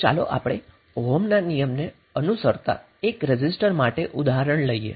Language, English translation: Gujarati, Let us take the example for 1 resistor it is following Ohm’s law